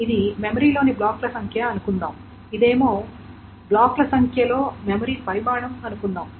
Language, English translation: Telugu, Suppose the number of blocks in a memory, this is the memory size in number of blocks